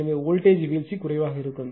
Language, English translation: Tamil, Therefore, voltage drop will be less